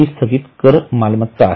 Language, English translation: Marathi, This is a deferred tax asset